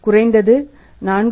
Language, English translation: Tamil, 6 but at least 4